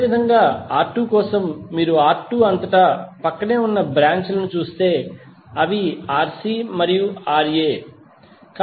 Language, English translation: Telugu, Similarly for R2, if you see the adjacent branches across R2, those are Rc and Ra